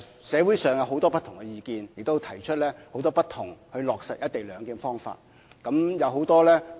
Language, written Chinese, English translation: Cantonese, 社會上有很多不同的意見，亦提出很多不同落實"一地兩檢"的方法。, There are many different comments and many different proposals for implementing the co - location arrangement in society